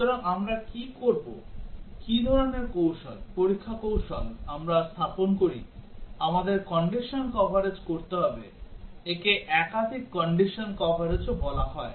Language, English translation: Bengali, So, what do we do what type of strategies, test strategies do we deploy, we have to do condition coverage, also called as multiple condition coverage